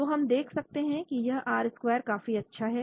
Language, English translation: Hindi, So we can see this R square pretty good